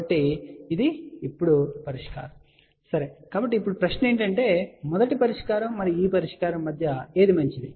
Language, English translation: Telugu, So, this is now the solution ok, so now, the question is between the first solution and this solution which one is better